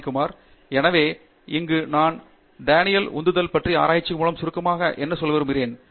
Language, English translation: Tamil, So, here I want to relate to what Daniel Pink had summarized from research on motivation